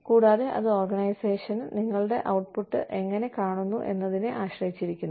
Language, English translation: Malayalam, And, that depends on, you know, how the organization perceives your output